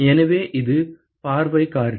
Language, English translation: Tamil, So, that is the view factor